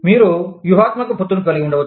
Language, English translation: Telugu, You could have, strategic alliances